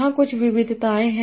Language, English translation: Hindi, There are some variations here